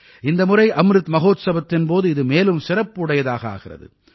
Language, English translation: Tamil, This time in the 'Amrit Mahotsav', this occasion has become even more special